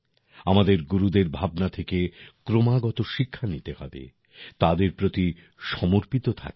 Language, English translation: Bengali, We have to continuously learn from the teachings of our Gurus and remain devoted to them